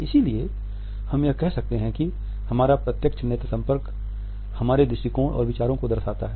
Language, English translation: Hindi, So, we can understand that our direct eye contact signals our attitudes and thoughts